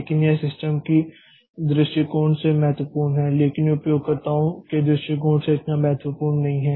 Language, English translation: Hindi, But that is important from the system's perspective but on the user's perspective that is not so important